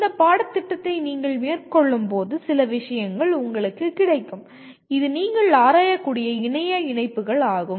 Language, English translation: Tamil, Some material will be made available to you when you are going through this course which will give you the kind of internet links that you can explore